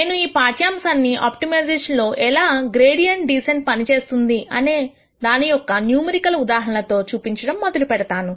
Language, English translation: Telugu, I am going to start out this lecture by showing you a numerical example of how gradient descent works in optimization